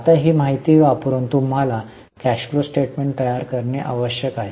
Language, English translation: Marathi, Now using this information you are required to prepare cash flow statement